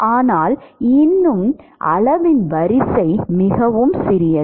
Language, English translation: Tamil, But still the order of magnitude is very small right